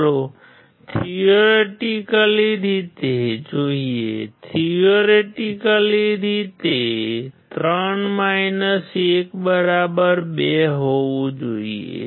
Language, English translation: Gujarati, Let us see theoretically; theoretically should be 3 1=2